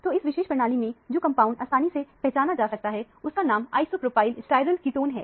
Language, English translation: Hindi, So, the compound is easily identified as this particular system namely, isopropyl sterile ketone is the name of this compound